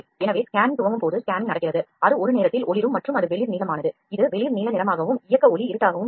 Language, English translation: Tamil, So, when it is it has initialized the scanning happens the scanning is in progress it is flashing one at a time and it is light blue, when it is light blue and the movement light is dark this is a movement of lights